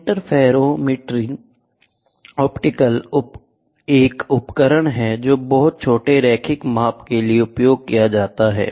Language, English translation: Hindi, Interferometers are optical instruments that are used for very small linear measurements